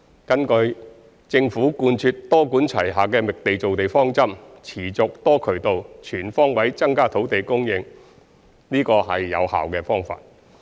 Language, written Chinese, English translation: Cantonese, 根據政府貫徹多管齊下的覓地造地方針，持續、多渠道、全方位增加土地供應，這是有效的方法。, The Government has been adopting a multi - pronged approach to identify and form land which is an effective way to forge ahead increasing land supply in a sustained and all - embracing manner